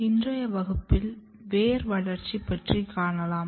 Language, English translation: Tamil, In today's class we are going to discuss about Root Development